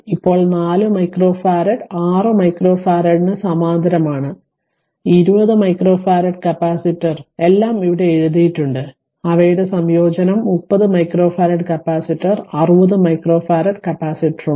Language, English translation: Malayalam, Now 4 micro farad is in parallel with 6 micro farad and 20 micro farad capacitor all are written here and their combine will be 30 micro farad you add them up